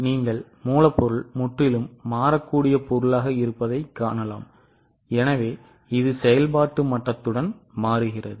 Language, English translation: Tamil, You can see raw material is a completely variable item so it changes with the level of activity